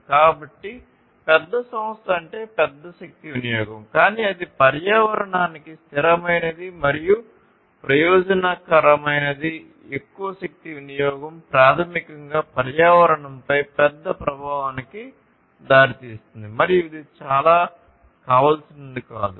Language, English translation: Telugu, So, larger enterprise means larger energy consumption, but that is not something that is sustainable and that is not something that can that is beneficial for the environment more energy consumption basically leads to bigger impact on the environment and which is not very desirable